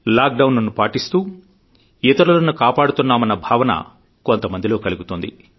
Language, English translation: Telugu, Some may feel that by complying with the lockdown, they are helping others